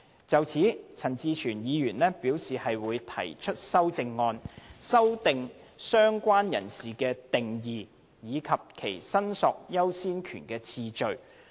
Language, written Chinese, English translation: Cantonese, 就此，陳志全議員表示會考慮提出修正案，修訂"相關人士"的定義，以及其申索優先權的次序。, In this connection Mr CHAN Chi - chuen has indicated that he may consider proposing CSAs to further amend the Administrations proposed definition of related person and the relevant priority of claims